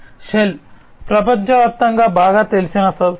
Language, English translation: Telugu, Shell is a very well known company worldwide